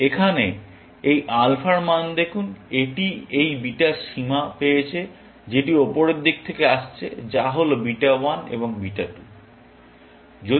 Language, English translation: Bengali, It has got this beta bound coming from the top, which is beta 1 and beta 2